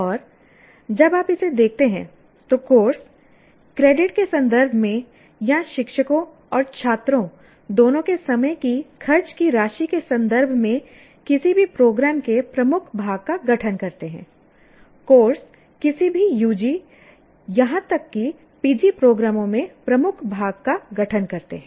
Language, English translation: Hindi, And when you look at this, the courses constitute the dominant part of any program in terms of credits or in terms of the amount of time, both teachers and students spend, the courses constitute the dominant part of any U